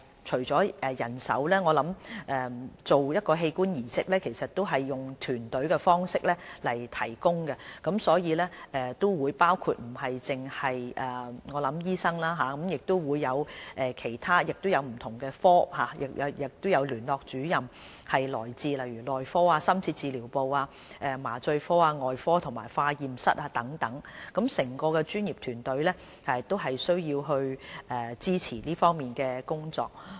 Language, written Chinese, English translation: Cantonese, 進行器官移植以團隊的方式提供，所以不僅包括醫生或器官移植聯絡主任，亦有不同專科的同事參與，他們來自內科、深切治療部、麻醉科、外科和化驗室等，整個專業團隊都需要支持這方面的工作。, Organ transplant services are provided through a team approach under which help is enlisted from not only doctors or Organ Donation Coordinators but also from different specialists such as those from medicine intensive care anaesthesia surgery and laboratory . It takes an entire professional team to support our work in this respect